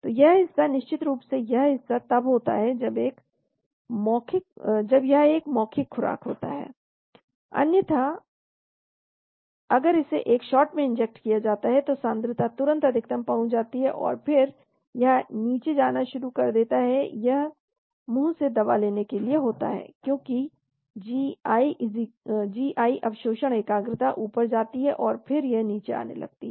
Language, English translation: Hindi, So this portion, this portion of course this happens if it is an oral dosage, otherwise if it is injected in one shot concentration reaches max immediately bolus, and then it starts going down, this is for oral administration because of the gi absorption concentration goes up then it falls down